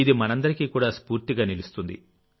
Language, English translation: Telugu, This is an inspiration to all of us too